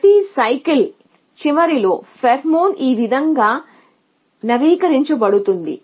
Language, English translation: Telugu, So, this is how pheromone is updated at the end of every cycle